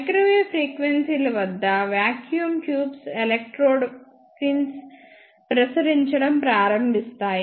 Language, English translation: Telugu, At microwave frequencies electrode pills of the vacuum tubes start radiating